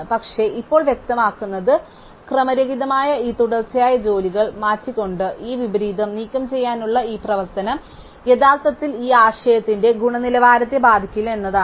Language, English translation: Malayalam, But, what is now the obvious is that this operation of removing this inversion by swapping these consecutive jobs which are out of order will actually not affect the quality of this notion